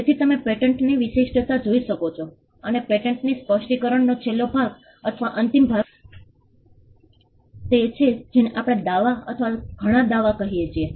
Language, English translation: Gujarati, So, you could look at a patent specification, and the last portion or the concluding portion of a patent specification is what we call a claim or many claims